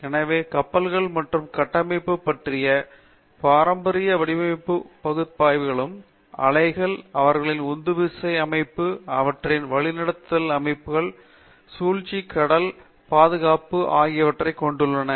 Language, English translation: Tamil, So, there is the traditional design and analysis of ships and structures, their interaction with the waves, their propulsion systems, their navigation systems, the manoeuvring, the sea keeping